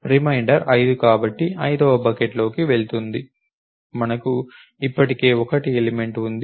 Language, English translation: Telugu, It remainder is 5 therefore, would goes into the fifth bucket we already have a 1 element